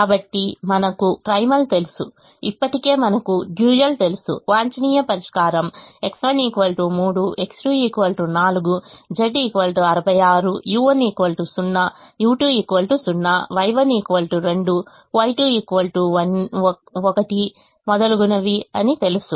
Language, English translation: Telugu, so we know that primal, we know the dual already, we know the optimum solution: x one equal to three, x two equal to four, z equal to sixty six, u one equal to zero, u two equal to zero, y one equal to two, y two equal to one, etcetera